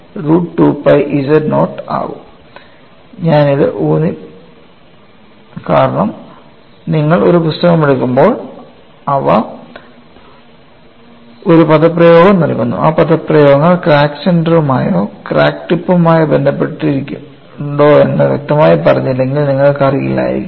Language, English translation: Malayalam, This I would be emphasizing it, because when you take up a book, they give an expression, you may not know unless it is very clearly said, whether those expressions are related to crack center or crack tip